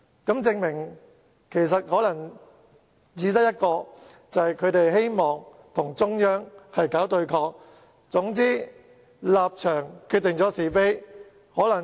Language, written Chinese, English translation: Cantonese, 這證明他們只希望與中央搞對抗，總之立場決定是非。, This proves that they only want to resist the Central Authorities; in short their position determines right or wrong